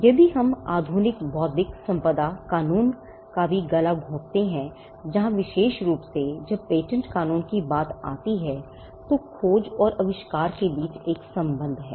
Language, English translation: Hindi, If we find strangle even in modern intellectual property law, where especially when it comes to patent law there is a conundrum between discovery and invention